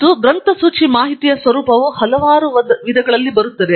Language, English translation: Kannada, And, the format of a bibliographic information comes in several methods